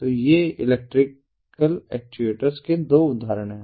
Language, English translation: Hindi, so these are two examples of electrical ah, electrical actuators